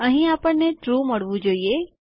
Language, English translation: Gujarati, Here we should get True